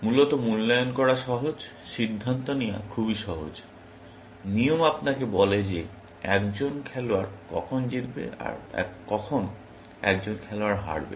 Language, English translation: Bengali, Essentially easy to evaluate, it is very easy to decide; the rules tell you when a player wins when a player loses